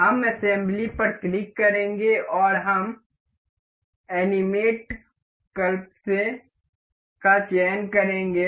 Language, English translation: Hindi, We will click on assembly and we will select animate collapse